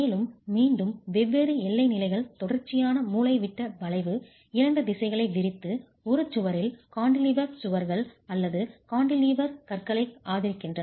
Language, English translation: Tamil, And again, different boundary conditions simply supported continuous diagonal bending, two directions spanning and cantilevered walls or cantilevered beams in a wall